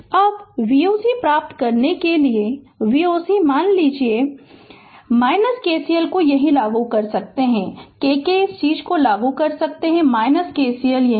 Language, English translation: Hindi, Now to get V o c to get V o c suppose I can apply KVL here itself here, I can apply k your k this thing your KVL here itself